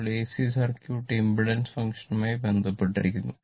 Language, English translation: Malayalam, So, and your what you call then AC circuit is related by the impedance function